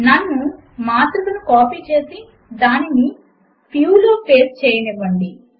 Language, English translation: Telugu, Let me copy the matrix and paste it in FEW